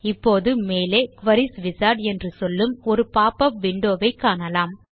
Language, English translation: Tamil, Now, we see a popup window that says Query Wizard on the top